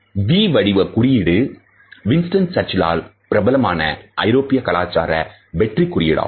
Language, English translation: Tamil, The V shaped sign which is popularized by Winston Churchill in the European culture is known for a victory sign